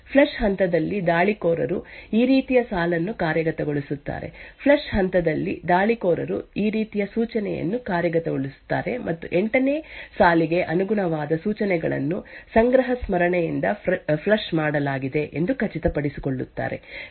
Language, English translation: Kannada, During the flush phase the attacker executes a line like this, during the flush phase the attacker executes an instruction such as this and ensures that instructions corresponding to line 8 are flushed from the cache memories